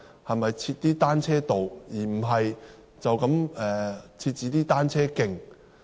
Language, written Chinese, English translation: Cantonese, 可否設立單車道而不只是單車徑？, Can cycle roads instead of cycle tracks be provided?